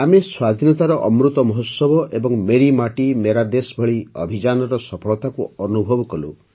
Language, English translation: Odia, We experienced successful campaigns such as 'Azadi Ka Amrit Mahotsav' and 'Meri Mati Mera Desh'